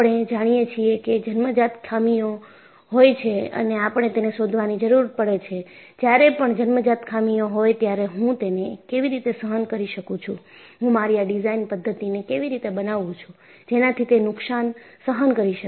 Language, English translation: Gujarati, We know that, there are inherent flaws and we need to find out, when there are inherent flaws, how do I tolerate it, how do I make my design methodology; so that, it is damage tolerant